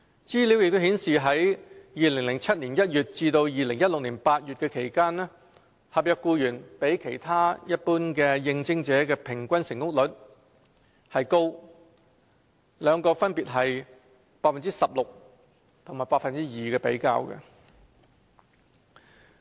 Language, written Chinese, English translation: Cantonese, 資料亦顯示在2007年1月至2016年8月期間，合約僱員比其他一般的應徵者的平均成功率高，兩個分別是 16% 和 2% 的比較。, Information has also shown that during the period between January 2007 and August 2016 the average success rate of NCSC staff which stood at 16 % was higher than that of ordinary candidates which stood at 2 %